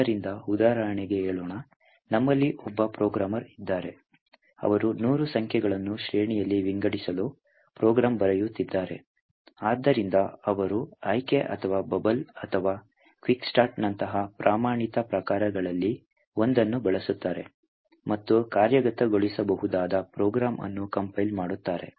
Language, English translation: Kannada, So, let us for example, say that we have programmer who is writing a program to say sort hundred numbers present in an array, so he would use one of the standard sorts, like selection or bubble or quicksort and compile the program get an executable